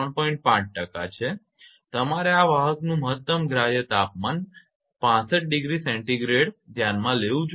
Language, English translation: Gujarati, 5 percent you have to consider this maximum permissible conductor temperature is 65 degree Celsius